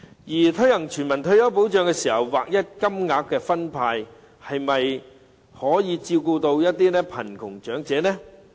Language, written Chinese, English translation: Cantonese, 在推行全民退休保障時，分派劃一金額，可否照顧到貧窮長者呢？, During the implementation of universal retirement protection will a uniform payment be able to take care of the poor elderly?